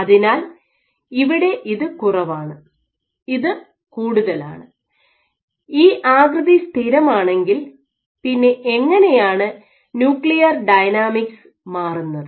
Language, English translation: Malayalam, So, this is less this is more so given this they make fast that focus at this is static shape, how does the nuclear dynamics change